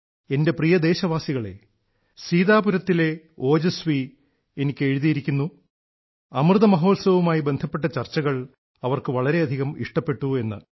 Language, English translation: Malayalam, Ojaswi from Sitapur has written to me that he enjoys discussions touching upon the Amrit Mahotsav, a lot